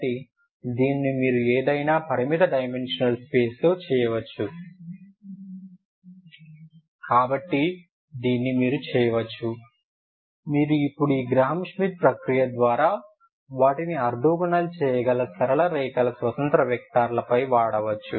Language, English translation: Telugu, You can make them so by this process this is i just explained the space or the plane ok, so this you can do in any finite dimensional space, So you can do this you can go on now ok, any given linearly independent vectors you can actually make them orthogonal ok by this Graham Schmit process ok